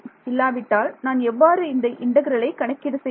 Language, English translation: Tamil, I need everything before otherwise how will I calculate this integral right